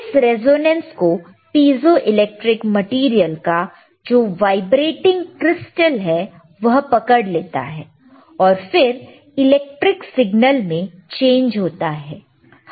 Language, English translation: Hindi, Tthis resonance will be caught by the vibrating crystal piezoelectric material, this material is piezoelectric and there will be change in the electrical signal